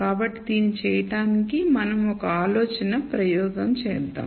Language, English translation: Telugu, So to do this let us do a thought experiment